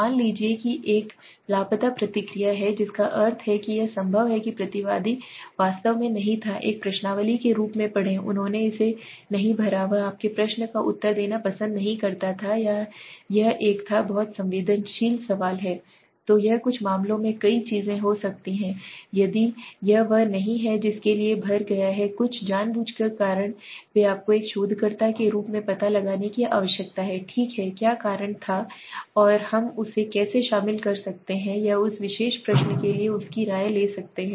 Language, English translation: Hindi, Suppose there is a missing response that means it is possible that the respondent actually did not read as a questionnaire he did not fill it up he did not like to answer your question or it was a very sensitive question so it could be several things in some cases if it is he has not filled up for some deliberate reasons they you need to find out as a researcher okay what was the reason and how could we involve him or take his opinion for that particular question okay